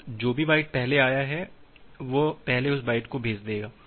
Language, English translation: Hindi, So, whatever byte has been came first, it will send that byte first